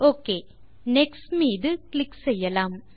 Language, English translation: Tamil, Okay, let us click on the next button now